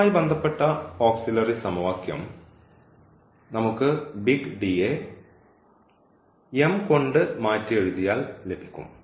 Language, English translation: Malayalam, So, the auxiliary equation corresponding to this will be just we can replace this D by m